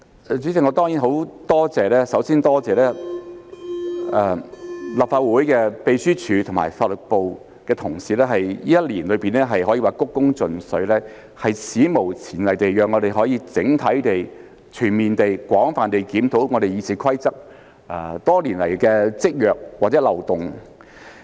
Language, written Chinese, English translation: Cantonese, 主席，首先，我多謝立法會秘書處和法律事務部的同事，他們在這一年內可說是鞠躬盡瘁，史無前例地讓我們可以整體地、全面地、廣泛地檢討《議事規則》多年來的積弱或漏洞。, President for starters I thank colleagues of the Legislative Council Secretariat and the Legal Service Division who have worked with the utmost dedication this year giving us an unprecedented opportunity to review the weaknesses or loopholes of RoP over the years in a holistic comprehensive and extensive manner